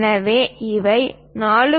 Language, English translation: Tamil, So, this is 1